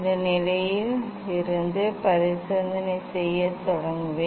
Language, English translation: Tamil, I will start experimenting from this position